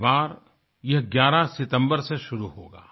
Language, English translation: Hindi, This time around it will commence on the 11th of September